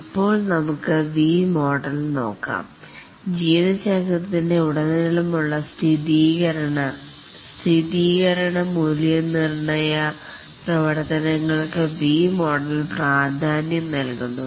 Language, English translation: Malayalam, The V model emphasizes on the verification and validation activities throughout the lifecycle